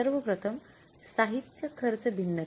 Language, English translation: Marathi, First of all, material cost variance